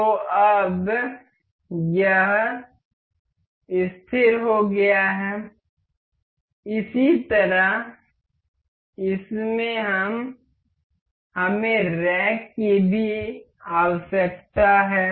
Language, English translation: Hindi, So, now it is fixed to this, similarly in this we need this in rack also